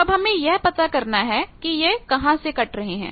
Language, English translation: Hindi, So we need to now find out that where they are cutting